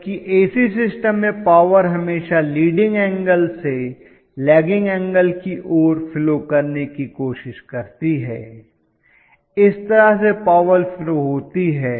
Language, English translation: Hindi, Whereas, in AC systems always the power will try to flow from a lagging angle, leading angle to the lagging angle that is the way the power flow occurs